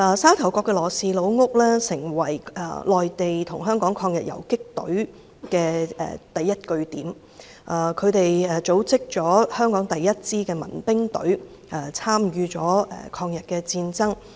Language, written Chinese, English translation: Cantonese, 沙頭角的羅氏家族的老屋成為內地與香港抗日游擊隊的第一據點，他們組織了香港第一支民兵隊，參與了抗日戰爭。, The old house of the LAW Family in Sha Tau Kok became the first stronghold of the Mainland and Hong Kong anti - Japanese guerrillas . They organized the first peoples militia team in Hong Kong and participated in the war of resistance against Japanese aggression